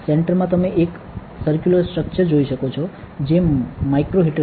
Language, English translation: Gujarati, At the center you can see a circular structure which is a micro heater